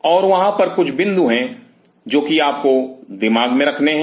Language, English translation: Hindi, And there are certain points which you have to kept keep in mind